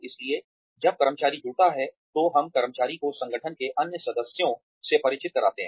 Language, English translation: Hindi, So, when the employee joins, we introduce the employee to other members of the organization